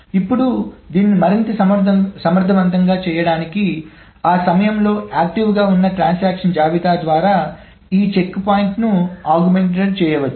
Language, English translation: Telugu, Now just to make it even more efficient, this checkpoint can be augmented by the list of transactions that are active at that point